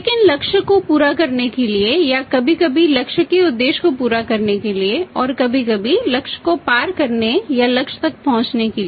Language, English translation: Hindi, But to meet the credit or some time to meet the objective for the target at some time to cross the target or to say reach up to the target